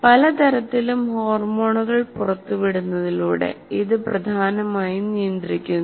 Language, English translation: Malayalam, It controls mainly by releasing of a variety of hormones